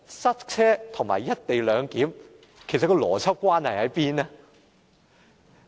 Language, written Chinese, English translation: Cantonese, 塞車和"一地兩檢"之間的邏輯關係在哪裏呢？, What is the logic of relating congestion to the co - location arrangement?